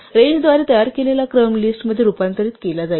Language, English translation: Marathi, So, the sequence produced by a range will be converted to a list